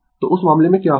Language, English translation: Hindi, So, in that case what will happen